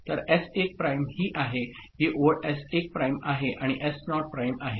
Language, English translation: Marathi, So, S1 prime is this one, this line is S1 prime and S naught prime ok